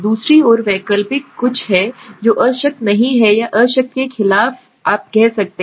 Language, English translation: Hindi, On the other hand, alternate is something which is not the null or against the null you can say right